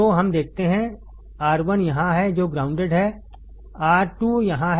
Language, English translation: Hindi, So, let us see, R1 is here which is grounded, R2 is here